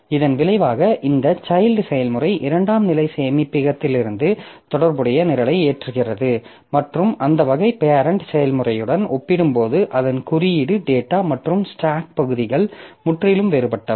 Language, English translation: Tamil, So, as a result, this child process loads the corresponding program from the secondary storage and that way its code data and stack segments are totally different compared to the parent process